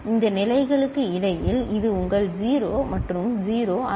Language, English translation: Tamil, In between in any of these states, it is not your 0 and 0